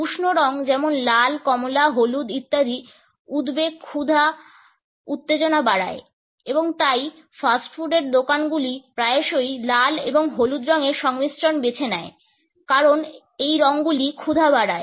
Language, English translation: Bengali, Warm colors such as red, orange, yellow etcetera increase anxiety, appetite, arousal and therefore, fast food chains often choose color combinations of red and yellow because these colors increase appetite